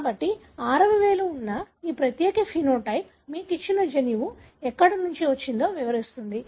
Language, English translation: Telugu, So, this would explain as to how from where possibly the gene that gave you this particular phenotype that is having sixth finger came in